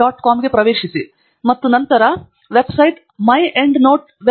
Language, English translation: Kannada, com, and the website will then get redirected itself to myendnoteweb